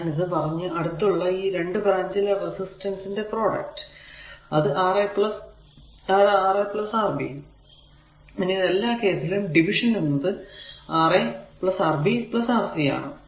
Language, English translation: Malayalam, Similarly, R 2 is equal to product of the 2 resistor adjacent branch that is Ra Rc divided by Rb Ra plus Rb plus Rc